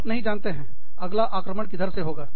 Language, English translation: Hindi, You do not know, where the next attack is coming from